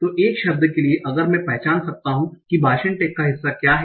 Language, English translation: Hindi, So forever if I can identify what are the part of speech tax